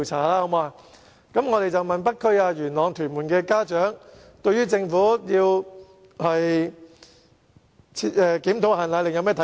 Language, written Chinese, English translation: Cantonese, 我們曾經訪問北區、元朗、屯門的家長對政府打算檢討"限奶令"的看法。, For instance we have interviewed some parents in the North District Yuen Long and Tuen Mun and consulted them on the Governments intention to review the powdered formulae restriction order